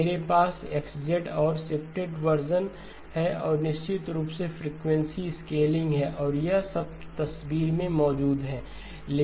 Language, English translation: Hindi, I have X of Z and I have shifted versions and of course there is frequency scaling and all of that is present in the picture